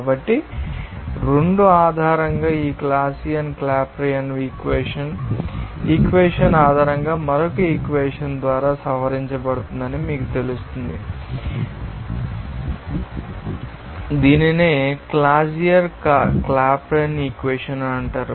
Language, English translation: Telugu, So, based on two, you know this Clausius Clapeyron equation is modified by another equation based on this equation, and it is called Clausius Clapeyron equation